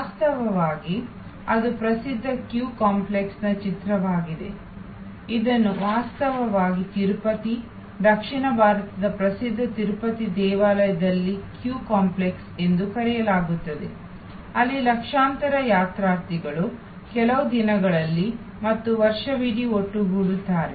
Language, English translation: Kannada, In fact, that is a picture of the famous queue complex, it is in fact called a queue complex at the Tirupati, the famous south Indian Tirupati temple, where millions of pilgrims congregate on certain days and on the whole throughout the year, they have huge flow of people